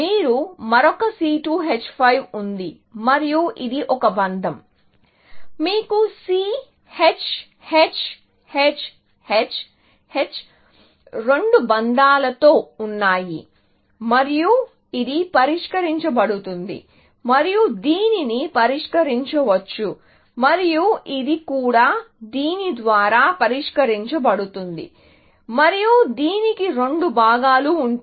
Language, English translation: Telugu, Then, you have another C2 H5; it is a bond and then, you have C, H, H, H, H, H, with two bonds, and this is solved; and this can be solved by, and this also, can be solved by this, and this will have, for example, two components